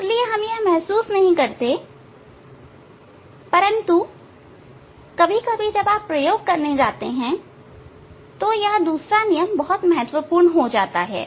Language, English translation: Hindi, That is why we do not realize, but in some when you are going to do experiment; there, this law second law is very important